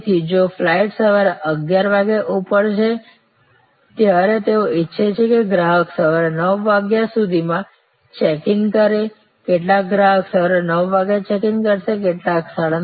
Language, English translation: Gujarati, So, the flight is taking off at 11 AM they want customer's to checking by 9 AM, some customer's will checking at 9 AM, some will arrive at 9